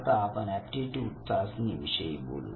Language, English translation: Marathi, Now we come to aptitude testing